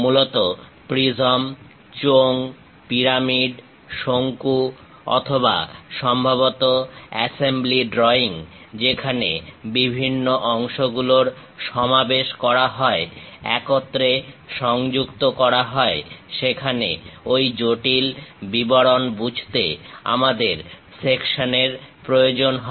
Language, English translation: Bengali, Mainly to represents prisms, cylinders, pyramids, cones or perhaps assembly drawings where different parts have been assembled, joined together; to understand these intricate details we require sections